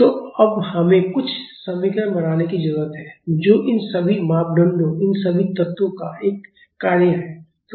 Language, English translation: Hindi, So, now we need to form some equation which is a function of all these parameters, all these elements